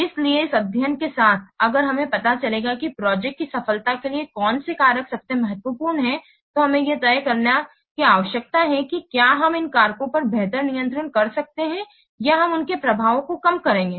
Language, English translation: Hindi, So, with this study if you will know that which factors are most important to success of the project, then we need to decide whether we can exercise better control over these factors or otherwise will mitigate their effects